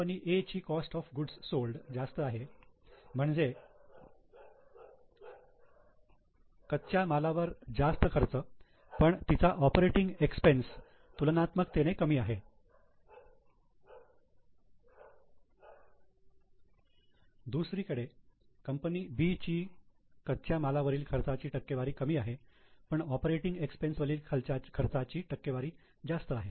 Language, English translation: Marathi, So, A is using more of cost of goods sold, that is more raw material but has relatively lesser operating expenses while B has lesser percentage on raw material on the cost of goods sold but has more percentage of operating expenses